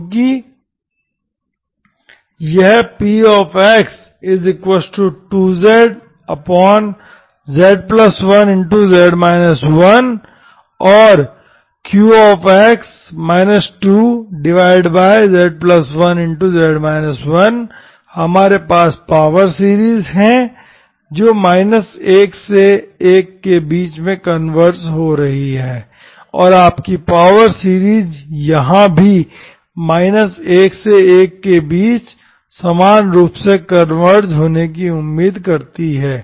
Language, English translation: Hindi, Because this px and qx, okay, so this qx, 2z divided by this and 2 divided by this, we have power series which is converging in, between 1 to 1 and your power series here also you can expect to be between minus1 to1 here, converging uniformly okay